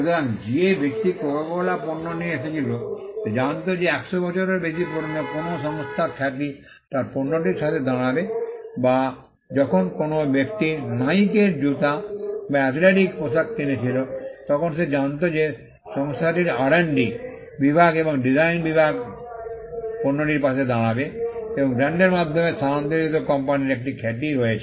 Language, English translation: Bengali, So, a person who brought a Coca Cola product would know that the reputation of a company that is more than 100 years old would stand by its product or when a person purchased a Nike shoe or an athletic apparel then, he would know that, the company’s R&D department and the design department would stand by the product and there is a reputation of the company, that has transferred through the brand